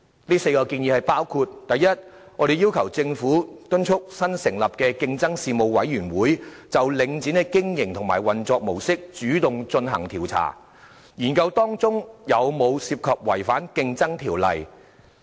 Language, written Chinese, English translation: Cantonese, 這4項建議包括：第一，我們要求政府敦促新成立的競爭事務委員會就領展的經營和運作模式主動進行調查，研究當中有否涉及違反《競爭條例》。, They include First we have requested the Government to urge the newly - established Competition Commission to initiate an investigation into the business and modus operandi of Link REIT so as to examine the possibility of any violation of the Competition Ordinance